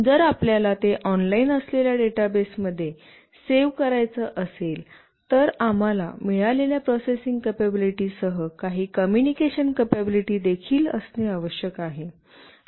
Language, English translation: Marathi, If we want to save that into a database which is online, we need to have some communication capability along with the processing capability that it has got